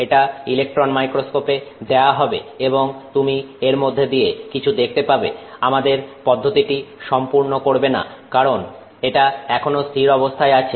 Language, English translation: Bengali, So, you have made this, it goes into the electron microscope and you are able to see something from it through it but that doesn't complete our process because this is now a static thing